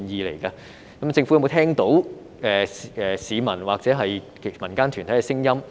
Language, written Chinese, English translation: Cantonese, 政府有沒有聽到市民或民間團體的聲音？, Has the Government listened to the voices of the people or community groups?